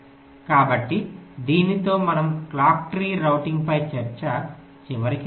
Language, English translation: Telugu, we come to the end of a discussion on clock tree routing